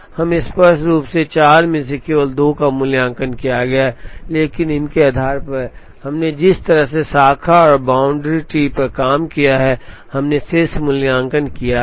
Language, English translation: Hindi, We have explicitly evaluated only two out of the four factorial, but based on these, the way we worked out the branch and bound tree, we have implicitly evaluated the remaining